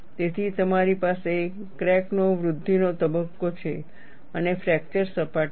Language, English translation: Gujarati, So, you have a growth phase of the crack and there is a fracture surface